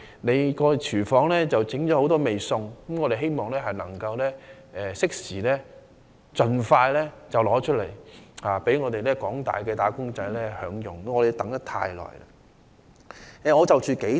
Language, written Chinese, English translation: Cantonese, 他的"廚房"已準備多道菜餚，我希望他能夠適時及盡快端上飯桌，供廣大"打工仔"享用，因為他們已等候良久。, His kitchen has already prepared various dishes . I hope he can serve the dishes onto the dining table in a timely and expeditious fashion for the enjoyment of all employees as they have waited too long